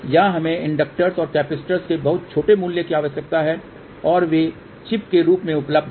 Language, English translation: Hindi, Here we need very small values of inductors and capacitors and they are available in the form of the chip